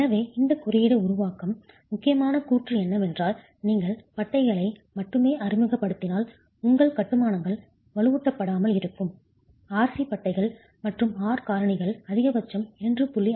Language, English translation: Tamil, So this is important statement that this code is making is your constructions will remain unreinforced if you are only introducing bands, RC bands and the R factors maximum can go up to 2